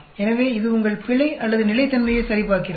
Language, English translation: Tamil, So, it checks your error or consistency